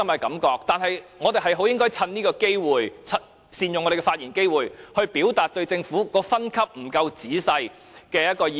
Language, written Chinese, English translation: Cantonese, 然而，我們應該善用發言機會，表達對政府的分級有欠仔細的意見。, Nevertheless we should make good use of our speaking time to express our views on the rough energy efficiency grading